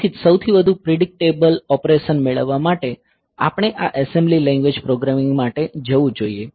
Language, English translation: Gujarati, So, that is why for getting the most predictable operation; so, we should go for this assembly language programming